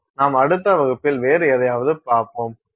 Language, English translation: Tamil, We will look at something else in our next class